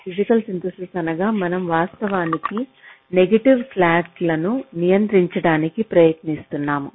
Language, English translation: Telugu, that when we say physical synthesis what we actually mean is we are trying to adjust, a control some of the negative slacks